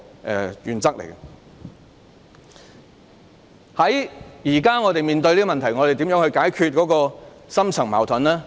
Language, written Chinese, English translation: Cantonese, 就着我們當前面對的問題，究竟應如何解決這個深層矛盾呢？, Regarding the problem before us now how should this deep - rooted problem be resolved?